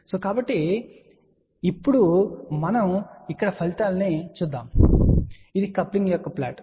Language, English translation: Telugu, So, now let us see the results you can see here this is the plot for the coupling